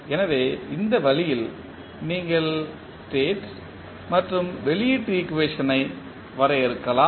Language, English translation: Tamil, So, in this way you can define the state and output equation